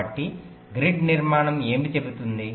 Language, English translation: Telugu, so what does grid structure says